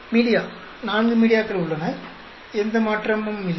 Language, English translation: Tamil, Media there are 4 media, no change